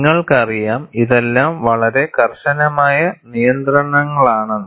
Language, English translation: Malayalam, You know, these are all very stringent restrictions